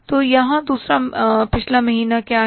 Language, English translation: Hindi, So, but is the second previous month here